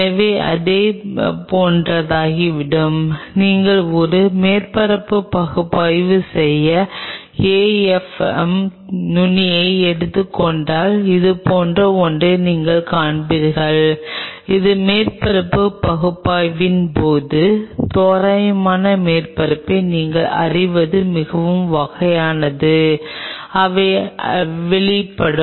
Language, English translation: Tamil, It something become like this and if you take the AFM tip to do a surface analysis then what you will see something like this, it is a very kind of you know rough surface, upon surface analysis and they are exposed